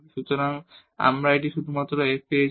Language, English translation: Bengali, So, we have written just this f